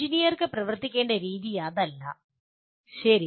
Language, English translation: Malayalam, That is not the way engineer need to work, okay